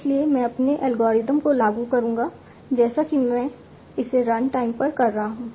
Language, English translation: Hindi, So I will apply my algorithm as if I am doing it at the runtime